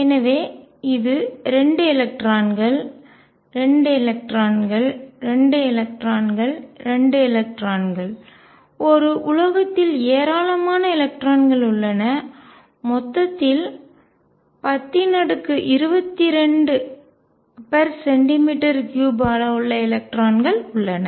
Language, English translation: Tamil, So, this is 2 electrons, 2 electrons, 2 electrons, 2 electrons in a metal bulk there are huge number of electrons of the order of 10 raise to 22 per centimeter cubed